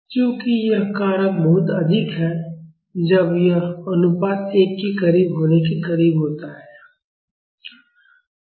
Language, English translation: Hindi, As this factor is very high, when it is close to when the ratio is close to 1